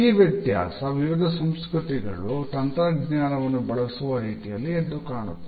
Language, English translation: Kannada, And this difference is easily visible in the way technology is used by different cultures